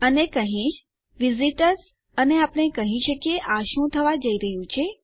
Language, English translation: Gujarati, And Ill say visitors and we can tell what this is going to be